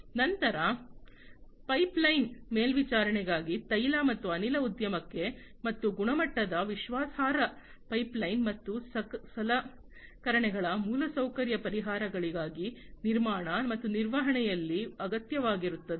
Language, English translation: Kannada, Then for pipeline monitoring high, high quality reliable pipeline for oil and gas industry and for infrastructure solutions for equipment, which are required in construction and maintenance